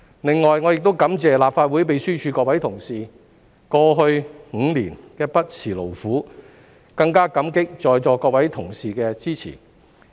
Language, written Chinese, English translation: Cantonese, 另外，我亦感謝立法會秘書處各位同事過去5年不辭勞苦，更加感激在座各位同事的支持。, Besides I would like to thank all my colleagues in the Legislative Council Secretariat for their tireless efforts over the past five years and I am even more grateful to all my Honourable colleagues present in this Chamber for their support